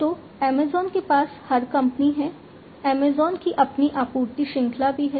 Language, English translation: Hindi, So, Amazon has, every company has, Amazon also has their own supply chain